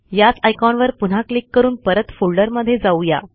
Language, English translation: Marathi, Let us go back to the folder by clicking this icon again